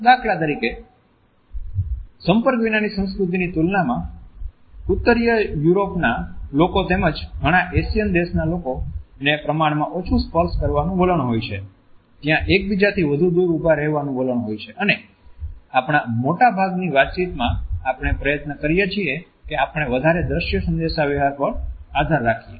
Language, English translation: Gujarati, In comparison to that in the non contact culture for example, people in the Northern Europe as well as in many Asian countries there is a tendency to touch less often, there is a tendency to stand further apart and in most of our communication we try to rely on visual communication